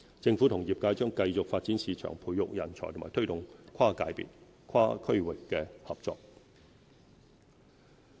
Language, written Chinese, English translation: Cantonese, 政府與業界將繼續發展市場、培育人才和推動跨界別跨地域合作。, In collaboration with the industry the Government will continue to facilitate market development nurture talent and promote cross - sector and cross - territory cooperation